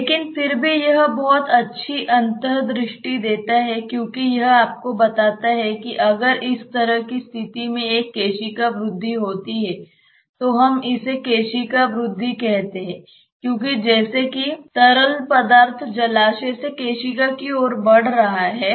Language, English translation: Hindi, But still it gives a lot of good insight because it tells you that if there is a capillary rise say in this kind of a situation we call it a capillary rise because as if the fluid is rising from the reservoir towards the capillary